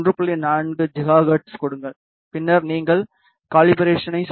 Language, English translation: Tamil, 4 gigahertz, then you need to do the calibration